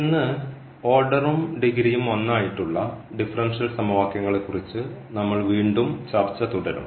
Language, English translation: Malayalam, And today we will continue our discussion again on differential equations of order 1 and degree 1